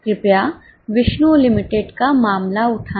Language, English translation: Hindi, Please take up the case of Vishnu Limited